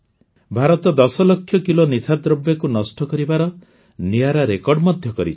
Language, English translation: Odia, India has also created a unique record of destroying 10 lakh kg of drugs